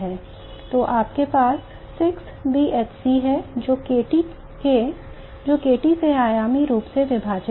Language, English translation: Hindi, So what you have is 6 B HC divided by KT dimensionally